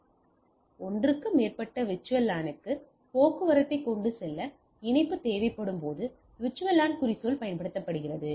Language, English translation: Tamil, So, the VLAN tagging is used when the link needs to carry the traffic for more than one VLAN right